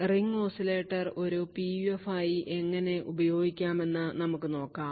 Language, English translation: Malayalam, So, we will start with ring oscillator, we will show how ring oscillator can be used as a PUF